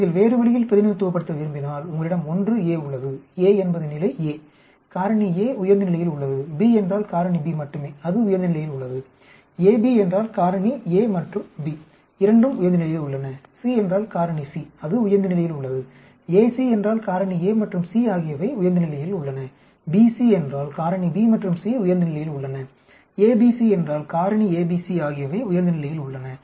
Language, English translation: Tamil, If you want to represent the other way you have 1 A, A means level A factor A is in higher level, B means only factor B is in higher level, AB means both factor A and B are in higher level, C means factor C is at high level, A,C means factor A and C are at high level, B,C means factor B and C are at high level, ABC means factor A B C all 3 are at higher level